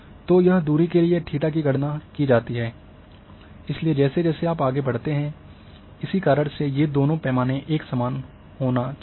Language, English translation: Hindi, So, that a distance theta this is calculated, so as you move that is why these two scales has to be same